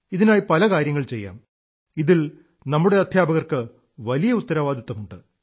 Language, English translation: Malayalam, A lot of work in this direction needs to be done and our teachers shoulder a significant responsibility for it